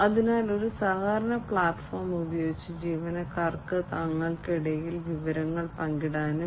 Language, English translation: Malayalam, So, employees can share information between themselves using a collaboration platform